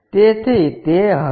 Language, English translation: Gujarati, So, it will be that